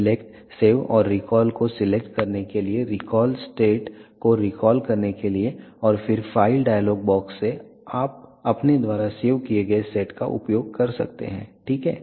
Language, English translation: Hindi, In order to recall select save and recall then recall state and then from file dialogue box you can use the sate that you have saved, ok